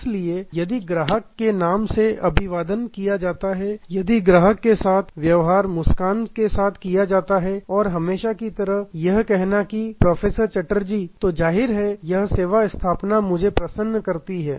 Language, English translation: Hindi, So, if the customer is greeted by name, if the customer is treated with a smile and saying the usual professor Chatterjee then; obviously, that service establishment delights me